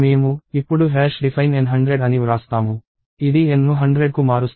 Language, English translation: Telugu, I, now write hash define N hundred; this changes N to hundred